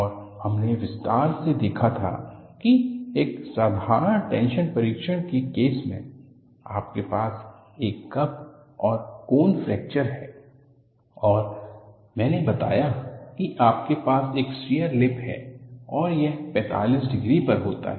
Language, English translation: Hindi, And we had seen in some detail, that in the case of a simple tension test, you have a cup and cone fracture, and I pointed out that, you have a shear lip and this happens at 45 degrees